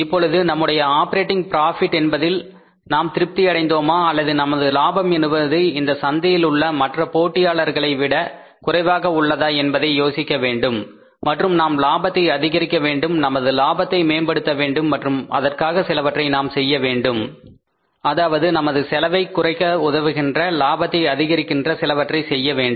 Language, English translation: Tamil, Now we will have to think about that whether we are satisfied with this operating profit or our profiting is lesser than the other players in the market and we have to increase the profit, we have to enhance the profit and we have to then do some something which is helping us to reduce the cost increase the profits